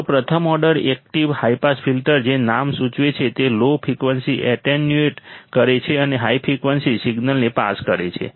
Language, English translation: Gujarati, So, a first order active high pass filter as the name implies attenuates low frequencies and passes high frequency signal correct